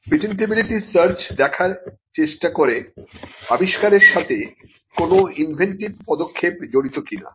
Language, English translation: Bengali, Patentability searches are directed towards seeing whether an invention involves an inventive step